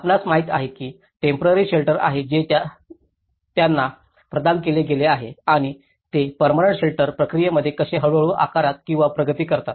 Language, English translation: Marathi, You know there is a temporary shelter which they have been provided for them and how they gradually shaped into or progressed into a permanent shelter process